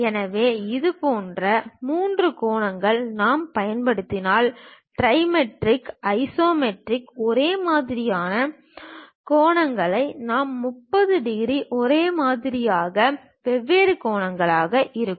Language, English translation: Tamil, So, such kind of three angles if we use, trimetric; in isometric same kind of angles we will have 30 degrees same, in dimetric we will have two different angles